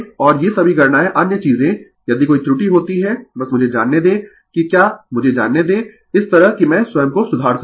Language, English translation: Hindi, And all these calculations other things if you find any error, you just let me know that whetherlet me know such that I can rectify myself